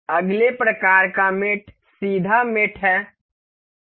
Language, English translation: Hindi, The next kind of mate is parallel mate